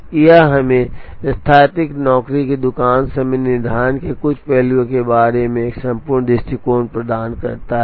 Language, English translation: Hindi, So, this gives us a complete view of certain aspects of what is called static job shop scheduling